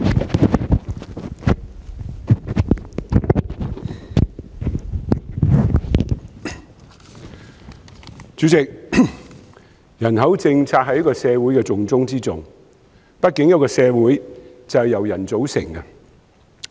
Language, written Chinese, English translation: Cantonese, 代理主席，人口政策是社會的重中之重，畢竟一個社會就是由人組成的。, Deputy President population policy is a top priority for society . After all a society is made up of people